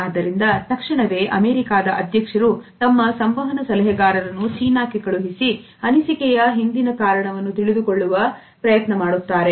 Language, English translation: Kannada, So, immediately the US President send his communication consultant to China in order to find out the reason behind it